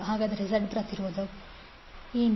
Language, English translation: Kannada, So what is the impedance Z